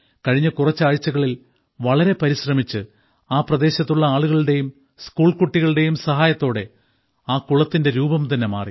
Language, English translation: Malayalam, With a lot of hard work, with the help of local people, with the help of local school children, that dirty pond has been transformed in the last few weeks